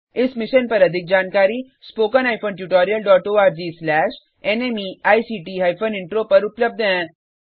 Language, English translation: Hindi, For more information, visit:spoken hyphen tutorial dot org slash NMEICT hyphen intro